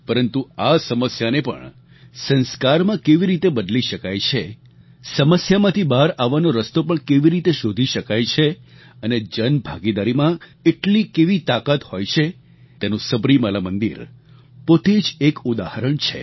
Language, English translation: Gujarati, But, Sabrimala temple in itself is an example to show how this challenge could be converted into a sanskar, a habit and what a tremendous strength public participation has